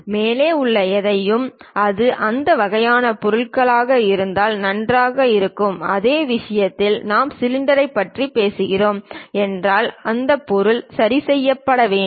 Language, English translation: Tamil, Anything above is perfectly fine if it is that kind of objects, for the same thing if we are talking about cylinder which has to be fixed in these object